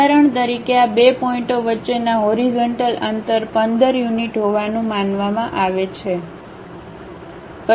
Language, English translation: Gujarati, For example, the horizontal distances between these 2 points supposed to be 15 units